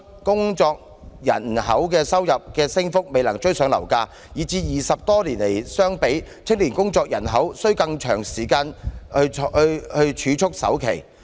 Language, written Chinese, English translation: Cantonese, 工作人口收入的升幅未能追上樓價，以致與20多年前相比，青年工作人口須更長時間儲蓄首期。, As the income of working population has failed to catch up with property prices it now takes a longer time for young people to save for a down payment than 20 years ago